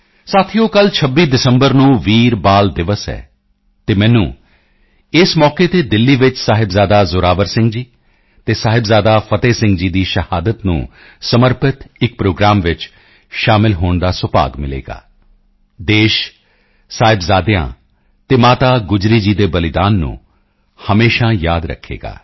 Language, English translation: Punjabi, Friends, tomorrow, the 26th of December is 'Veer Bal Diwas' and I will have the privilege of participating in a programme dedicated to the martyrdom of Sahibzada Zorawar Singh ji and Sahibzada Fateh Singh ji in Delhi on this occasion